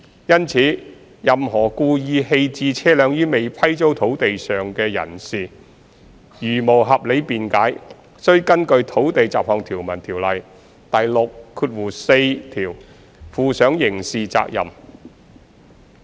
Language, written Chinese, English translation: Cantonese, 因此，任何故意棄置車輛於未批租土地上的人士如無合理辯解，須根據《土地條例》第64條負上刑事責任。, Therefore any person abandoning a vehicle on unleased land on purpose without reasonable excuse commits a criminal offence under section 64 of the Land Ordinance